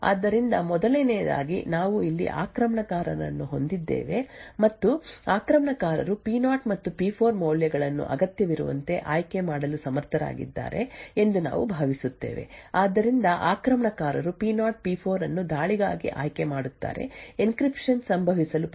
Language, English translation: Kannada, So, first of all we have the attacker over here and we will assume that the attacker is able to choose the values of P0 and P4 as required, so the attacker chooses P0, P4 for attack, triggers an encryption to occur